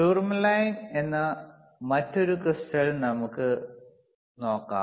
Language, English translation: Malayalam, Let us see another crystal called tourmalinethermal line